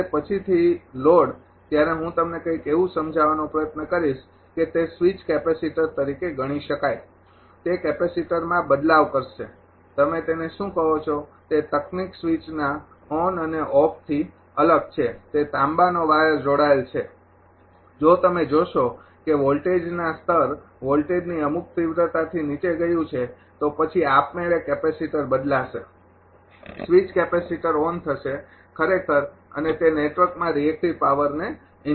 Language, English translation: Gujarati, When load later I will try to explain you something such that those can be treated as a switch capacitor and it switch capacitor at a ah different ah your what you call that switch on and off that technique is different one is that ah copper wire is connected; if you see the voltage level has gone below certain ah magnitude of the voltage then automatically capacitor will be switch capacitor will be switched on right and it will inject reactive power into the network